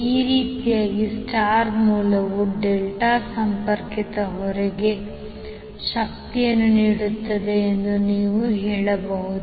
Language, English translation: Kannada, So in this way you can say that the star source is feeding power to the delta connected load